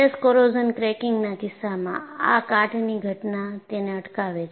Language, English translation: Gujarati, So, in the case of stress corrosion cracking, corrosion event precipitates that